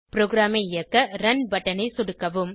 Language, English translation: Tamil, Lets click on the Run button to run the program